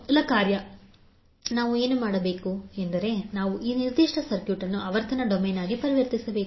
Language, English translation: Kannada, So the first task, what we have to do is that we have to convert this particular circuit into frequency domain